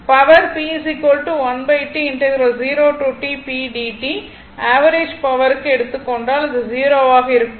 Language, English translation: Tamil, Now, the average power average power 1 to T if you then it will become 0